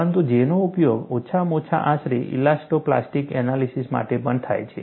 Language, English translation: Gujarati, But J is also used for elasto plastic analysis, at least approximately